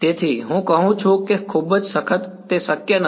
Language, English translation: Gujarati, So, I say that is too rigorous that is not possible